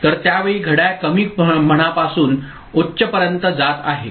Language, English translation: Marathi, So, the clock is going high here from say low to high at that time